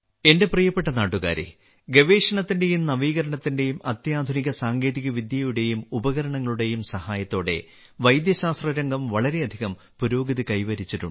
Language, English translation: Malayalam, My dear countrymen, the world of medical science has made a lot of progress with the help of research and innovation as well as stateoftheart technology and equipment, but some diseases, even today, remain a big challenge for us